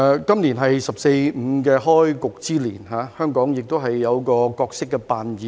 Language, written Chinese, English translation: Cantonese, 今年是"十四五"規劃的開局之年，香港也有一個角色扮演。, This year marks the beginning of the 14th Five - Year Plan in which Hong Kong also has a role to play